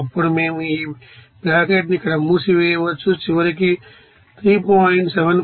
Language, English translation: Telugu, Then we can close this bracket here, and then finally to becoming as 3